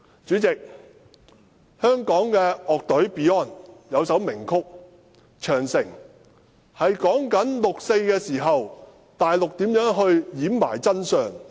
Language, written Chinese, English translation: Cantonese, 主席，香港的樂隊 Beyond 有一首名曲"長城"，是說六四事件內地政府如何掩飾真相。, President a band in Hong Kong named Beyond has a famous song called Changcheng Great Wall . The lyrics are about the Mainland Government hiding the truth of the 4 June Incident